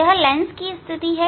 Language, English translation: Hindi, this is a position of the lens